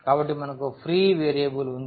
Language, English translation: Telugu, So, we have the free variable